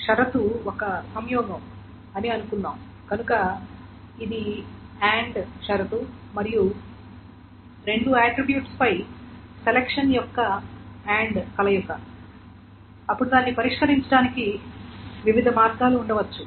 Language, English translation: Telugu, So, suppose the condition is a conjunction, so this is an end condition, the conjunction of the end of selection on two attributes, then there can be different ways of solving it